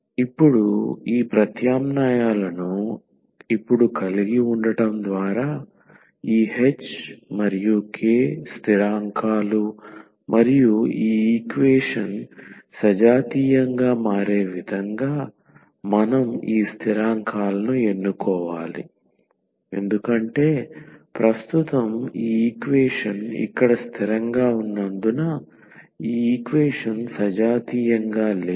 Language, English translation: Telugu, Now, by having this substitutions now, this h and k are the constants and we have to choose these constants such that this equation become homogeneous because at present this equation is not homogeneous because of these constant terms here